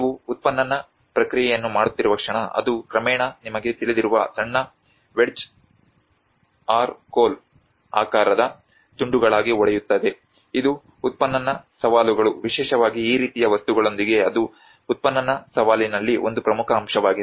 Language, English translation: Kannada, The moment you are making an excavation process, it gradually brokes into small wedge shaped pieces you know, that is one of the important aspect in the excavation challenges and excavation challenge especially with this kind of material